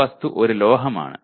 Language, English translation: Malayalam, Just an object is a metal